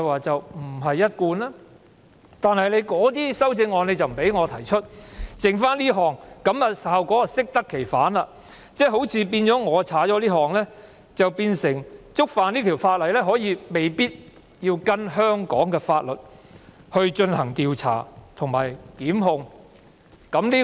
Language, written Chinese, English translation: Cantonese, 這樣一來，這項修正案的效果適得其反，變成如果這款被刪除，觸犯有關罪行，便未必需要按照香港法律進行調查及予以檢控。, In this way this amendment will only achieve the opposite effect . In other words if this subclause is deleted offences concerned may not be investigated and persons may not be prosecuted according to the laws of Hong Kong